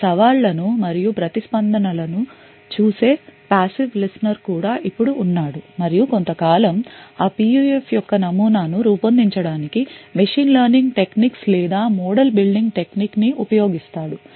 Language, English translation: Telugu, Now there is also a passive listener in this entire thing who views these challenges and the responses and over a period of time uses machine learning techniques or model building technique to build a model of that PUF